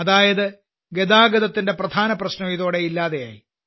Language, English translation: Malayalam, That is, the major problem of transportation has been overcome by this